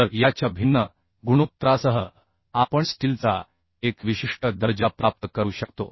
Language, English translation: Marathi, So with the different ratio of this we can achieve a particular grade of steel